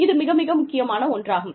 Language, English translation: Tamil, These are very important